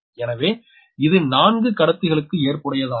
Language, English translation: Tamil, so you have to consider the four conductors